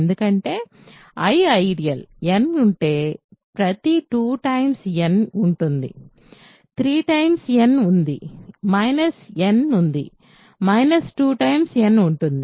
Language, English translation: Telugu, Because, I is an ideal, if n is there, every 2 times n is there, 3 times n is there, minus n is there, minus 2 times n is there